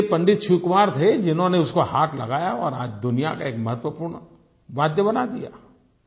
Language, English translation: Hindi, But it was Pandit Shiv Kumar Sharma whose magical touch transformed it into one of the prime musical instruments of the world